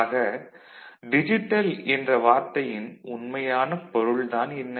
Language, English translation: Tamil, And what we actually mean by digital